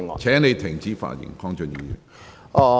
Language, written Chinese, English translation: Cantonese, 請你停止發言。, Please stop speaking